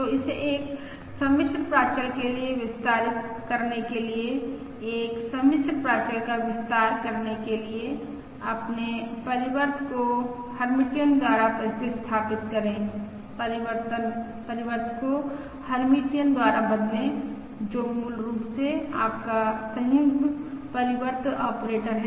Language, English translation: Hindi, So, to extend this to a complex parameter, to extend to a complex parameter, replace, replace your transpose by the Hermitian, replace the transpose by the Hermitian, which is basically your conjugate transpose operator